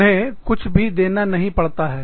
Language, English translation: Hindi, They do not have to pay, anything